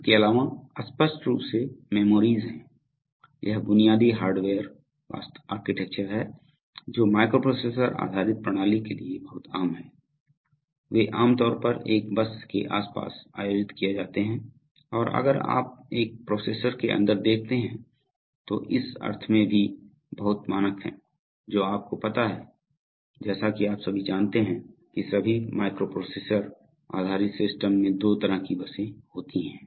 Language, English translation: Hindi, Plus there are obviously memories, so this is the basic hardware architecture which is very common for microprocessor based system, they are generally organized around a bus, oops and if you see inside one processor, that is also pretty standard in the sense that, you know you have, as you all know that all microprocessor based systems have two kinds of buses